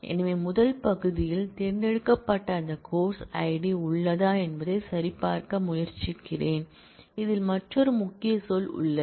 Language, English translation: Tamil, So, I am trying to check, whether that course Id which is being selected in the first part exists in, in is another keyword